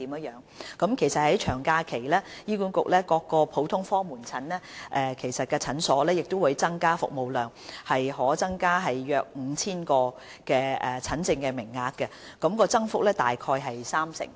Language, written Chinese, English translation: Cantonese, 醫管局各普通科門診診所在長假期會增加服務量，約可增加 5,000 個診症名額，增幅大概三成。, All general outpatient clinics of HA will increase service capacity during long holidays offering 5 000 additional consultation places or an increase of about 30 %